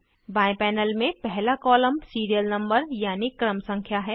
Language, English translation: Hindi, The first column in the left panel is the serial number